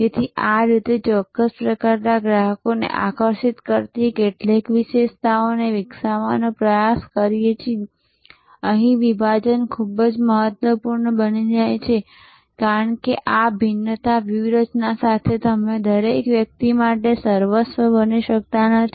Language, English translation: Gujarati, So, this is how actually we try to develop certain features that attractors certain type of customers, here segmentation becomes very important, because you cannot be everything to everybody with this differentiation strategy